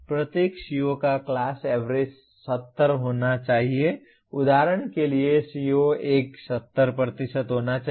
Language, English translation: Hindi, Each CO the class average should be 70, here for example CO1 should be 70%